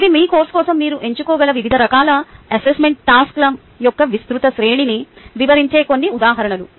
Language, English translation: Telugu, these are about a few examples which covers the wide range of various types of assessment task you can choose for your course